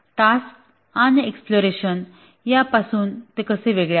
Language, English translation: Marathi, How is it different from tasks and exploration